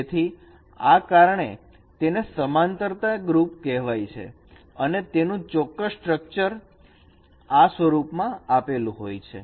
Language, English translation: Gujarati, So that is why it is called similarity group and its particular structure is given in this form